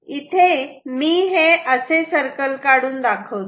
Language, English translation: Marathi, i will draw circles like this